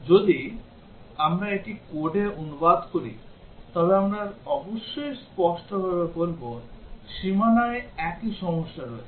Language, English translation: Bengali, If we translate it into code we would obviously, have the same problems at the boundary